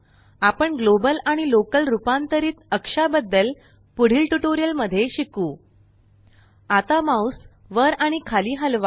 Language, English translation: Marathi, We will discuss about global and local transform axis in detail in subsequent tutorials.lt/pgt Now move the mouse up and down